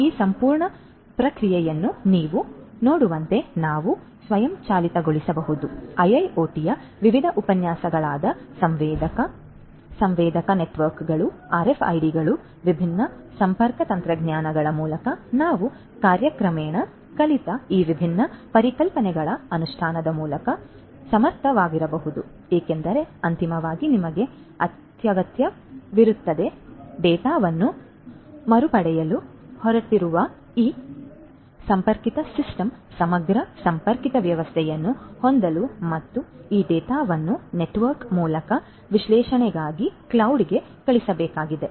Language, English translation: Kannada, So, as you can see this entire process we can automate we can make efficient through the implementation of these different concepts that we have learnt over time through different lectures on IIoT such as sensor, sensor networks, RFIDs, different connectivity technologies because ultimately you need to have this connected system holistic connected system which is going to retrieve the data and this data is has to be sent through the network, to the cloud for analytics right